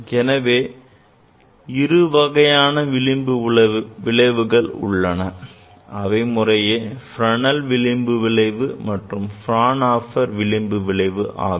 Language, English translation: Tamil, So, two types of diffractions are there: one is Fresnel diffraction and another is Fraunhofer diffraction